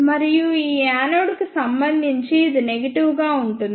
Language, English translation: Telugu, And this is negative with respect to this anode